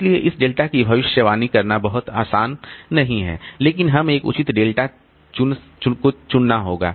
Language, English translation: Hindi, , it is not very easy to predict this delta, but we have to choose a proper delta